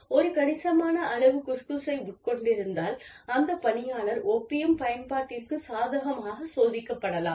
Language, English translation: Tamil, And, if a person has consumed, a significant amount of Khus Khus, then the person could be, could test positive, for opium use